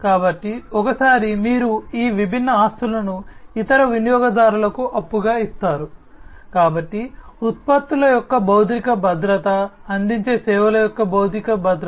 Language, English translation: Telugu, So, once you lend out these different assets to other users, so security of the physical security of the products, the physical security of the services that are offered